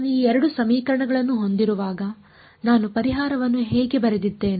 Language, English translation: Kannada, When I had these 2 equations, how did I write the solution